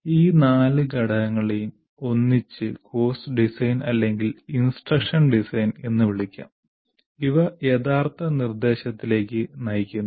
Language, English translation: Malayalam, These four will lead to either I call it course design or instruction design and it leads to actual instruction